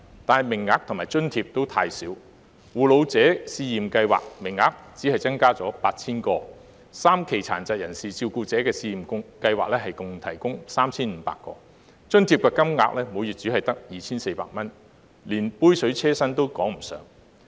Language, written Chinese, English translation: Cantonese, 但是，各項計劃的名額及津貼都太少，護老者試驗計劃名額只增加 8,000 個 ，3 期殘疾人士照顧者試驗計劃共提供 3,500 個名額，津貼金額每月只有 2,400 元，連杯水車薪也談不上。, However the quotas and allowance amounts under these schemes are too small . There are only 8 000 additional quotas for the Pilot Scheme on Living Allowance for Carers of Elderly Persons from Low - income Families and a total of 3 500 quotas for the three phases of the Pilot Scheme on Living Allowance for Low - income Carers of PWDs providing a monthly subsidy of only 2,400 . This is not even a drop in the bucket